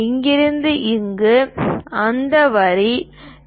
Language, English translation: Tamil, From here to here that line is 2